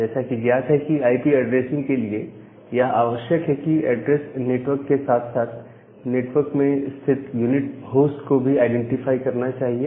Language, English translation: Hindi, So, as you are mentioning that the requirement for IP addressing is that the address should identify a network as well as an unique host inside that particular network